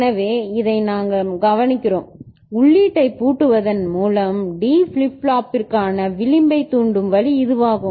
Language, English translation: Tamil, So, this is what we note and this is the way you can get edge triggering for D flip flop by locking out the input